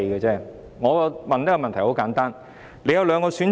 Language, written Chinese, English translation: Cantonese, 局長，你有兩個選擇。, Secretary you have two choices